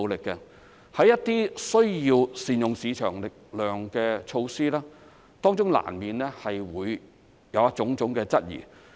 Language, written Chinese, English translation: Cantonese, 在推展一些需要善用市場力量的措施時，當中難免會有種種質疑。, In taking forward certain measures which require the use of market forces there will inevitably be various kinds of queries